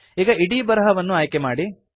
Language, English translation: Kannada, Select the entire text now